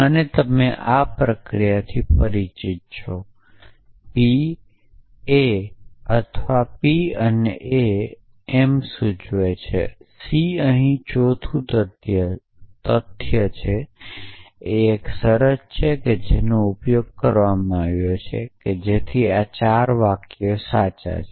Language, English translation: Gujarati, And you are familiar with this process p implies a or a and m implies c here the fourth facts is a terms sometime we used given to us that this 4 sentences at true